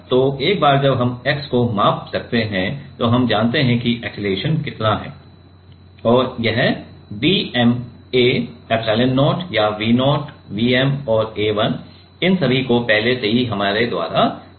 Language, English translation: Hindi, So, once we can measure the x then we knows that how much is the acceleration; and this d m capital A epsilon0 or let us V 0, V m and A1 all these terms are already decided by us